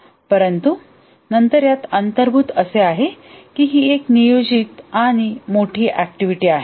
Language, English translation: Marathi, But then implicit in this is that it is a planned activity and it is a large activity